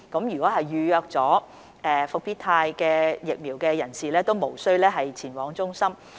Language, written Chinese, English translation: Cantonese, 已預約接種復必泰疫苗的人士無需前往接種中心接種。, Those who have made appointments for receiving Comirnaty vaccination need not go to CVCs for vaccination